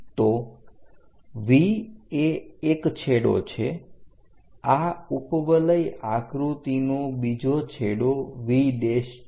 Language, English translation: Gujarati, So, V is one end of this ellipse V prime is another end of an ellipse